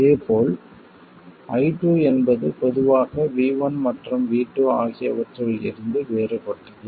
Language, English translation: Tamil, And similarly I2 versus V1 could be something like that